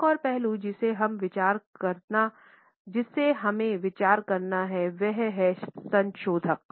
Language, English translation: Hindi, Another aspect we have to consider is modifiers